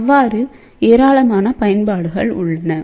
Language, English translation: Tamil, So, there are a huge amount of applications